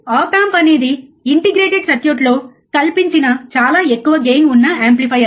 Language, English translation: Telugu, Op amp is a very high gain amplifier fabricated on integrated circuit, right